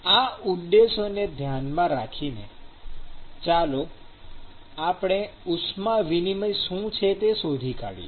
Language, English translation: Gujarati, With these objectives in mind, let us delve into what is heat transfer